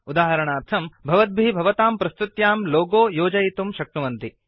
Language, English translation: Sanskrit, For example, you can add a logo to your presentation